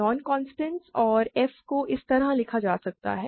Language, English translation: Hindi, So, both g and h are non constants and f can be written like this